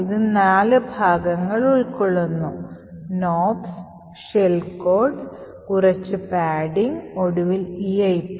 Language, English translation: Malayalam, One is nops then you have the shell code then you have some padding and finally you have an EIP